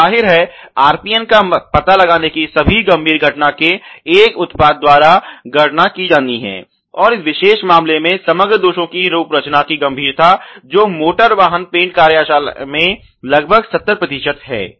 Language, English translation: Hindi, So obviously, the RPN has to be calculated by a product of the all severity occurrence of the detection; and in this particular case the severity for this defect of the overall set up defects which are there in the automotive paint shop is about 70 percent